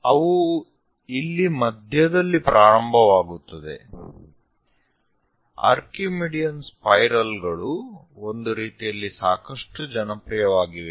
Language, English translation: Kannada, So, they begin somewhere at centre; Archimedean spirals are quite popular in that sense